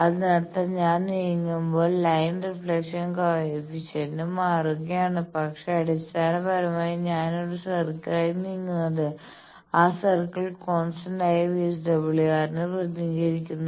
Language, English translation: Malayalam, That means, when I am moving the line reflection coefficient is changing, but basically I am moving on a circle and that circle represents a constant VSWR